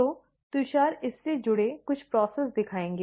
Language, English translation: Hindi, So, Tushar will show some of the process associated with it